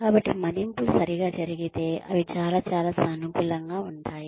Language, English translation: Telugu, So, appraisals are, if done, if carried out properly, they are very very, positive